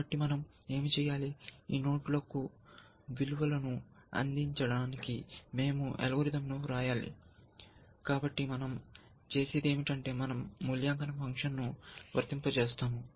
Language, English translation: Telugu, So, what do we do, we have to write algorithms, to go values to this nodes essentially, so what do we do, we apply evaluation function